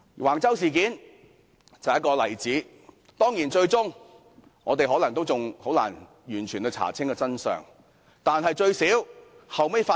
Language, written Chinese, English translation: Cantonese, 橫洲事件就是一個例子，當然，我們最終也未必能完全查出真相。, The Wang Chau incident is a case in point . Of course we may not be able to find out the truth in the end